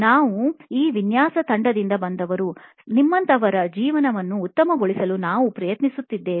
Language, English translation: Kannada, We are from this design team, we are trying to make people like your lives better